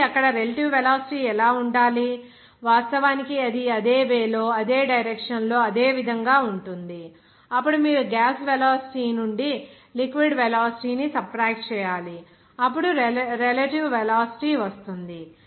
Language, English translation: Telugu, So, there what should be the relative velocity, of course, it will be the same way in the same direction it is going, then simply you have to subtract that, that is liquid velocity from the gas velocity, then you will get that relative velocity